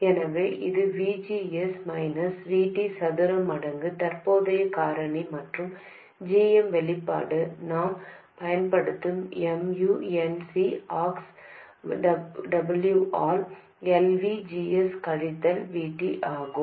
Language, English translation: Tamil, So, this is VGS minus VT square times the current factor and GM the expression we have been using is MUNC C Ox W by L VGS minus VT